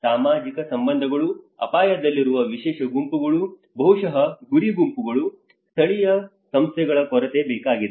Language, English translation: Kannada, Social relationships, special groups at risk maybe a target groups, lack of local institutions